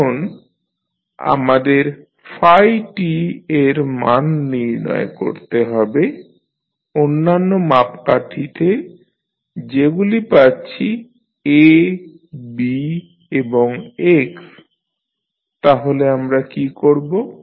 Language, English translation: Bengali, Now, we need to find out the value of phi t in term of the other parameters which we have like we have A, B and x, so what we will do